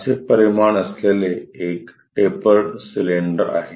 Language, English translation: Marathi, There is a tapered cylinder having such dimensions